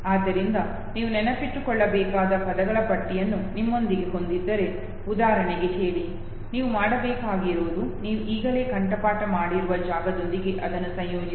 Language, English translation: Kannada, So say for example if you have a list of words with you that you have to memorize, all you have to do is, that you associate it with the space that you have already memorized